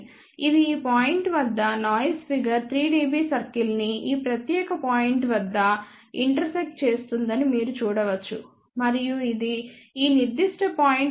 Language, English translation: Telugu, 9, you can see that this is intersecting noise figure 3 dB circle at this point and this particular point, ok